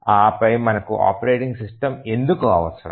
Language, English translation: Telugu, And then why do we need a operating system